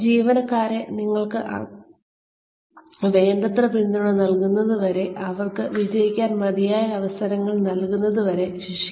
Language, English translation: Malayalam, Do not punish employees, till you have given them enough support, till you have given them enough chances, to succeed